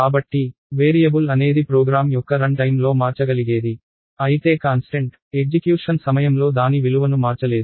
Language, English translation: Telugu, So, a variable is something that can change during the execution of a program, where as a constant cannot change it is value during the execution